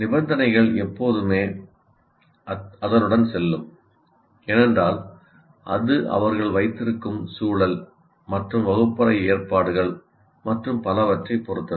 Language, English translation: Tamil, Conditions will always go with that because it depends on the kind of environment that you have, right classroom arrangements that you have and so on